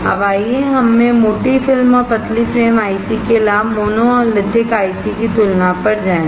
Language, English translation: Hindi, Now let us go to the advantage of thick film and thin frame ICs right over the compared to monolithic ICs